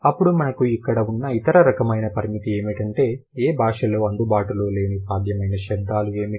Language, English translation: Telugu, Then the other kind of constraint that we have here is what are the possible combinations or what are the possible sounds which may not be available in any language